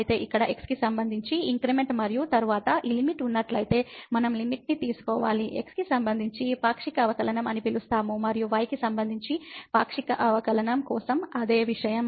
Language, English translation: Telugu, So, here the increment with respect to x and then, this quotient we have to take the limit if this limit exists, we will call it partial derivative with respect to and same thing for the partial derivative of with respect to